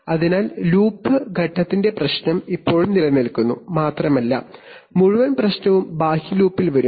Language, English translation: Malayalam, So therefore, the problem of loop phase still remains and the whole problem will come in the outer loop